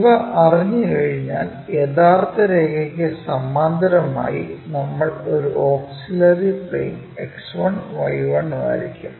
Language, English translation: Malayalam, Now, project all these lines on to this new plane which we call auxiliary plane X 1, Y 1 plane